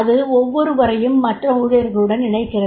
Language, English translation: Tamil, It is the linking with the other employees